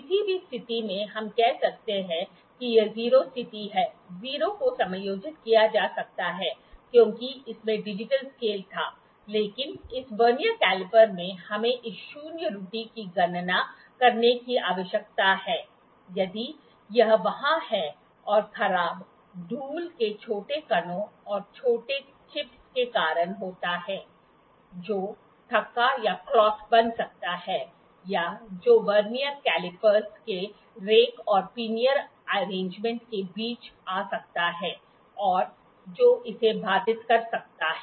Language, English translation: Hindi, At any position we can say this is the 0 position, the 0 can be adjusted because that had digital scale, but in this Vernier caliper we need to calculate this zero error if it is there and the deterioration happens due to small dust particles or the tiny chips which can clot or which can come in between the rack and pinion arrangement of the Vernier caliper that can hinder it